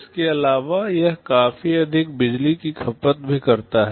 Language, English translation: Hindi, In addition it also consumes significantly higher power